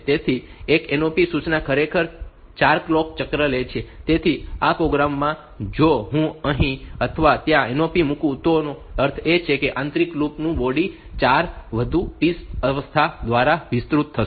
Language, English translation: Gujarati, So, if I put a NOP so; that means, the inner loop will that the body of the inner loop will get extended by 4 more T states